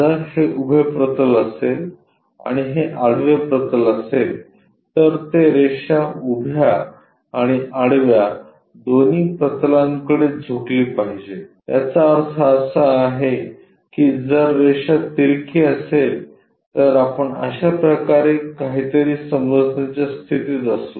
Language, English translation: Marathi, If this is the vertical plane and this is the horizontal plane, line has to be inclined to both vertical plane and horizontal plane; that means, if it is inclined we will be in a position to sense something like in that way